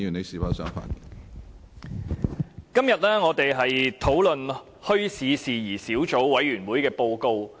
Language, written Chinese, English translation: Cantonese, 主席，今天我們討論墟市事宜小組委員會的報告。, President we are discussing today the Report of the Subcommittee on Issues Relating to Bazaars